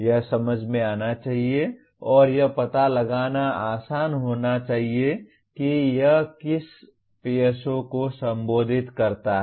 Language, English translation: Hindi, That should make sense and it should be easier to identify which PSO it addresses